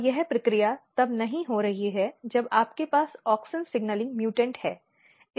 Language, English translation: Hindi, And this process is not happening when you have auxin mutant; auxin signalling mutant